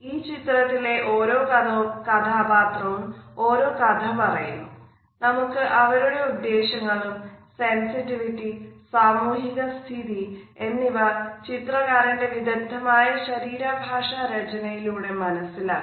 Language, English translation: Malayalam, So, you would find that each character in this painting speaks a different language and we can make out the intentions, the sensitivities and the social standings simply by looking at the body language painted so cleverly by the artist here